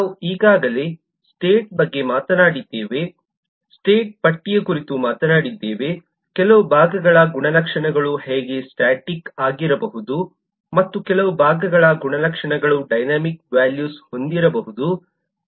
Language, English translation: Kannada, we have talked about state, already talked state charts, how certain parts of the property could be static and certain part of the properties could have dynamic values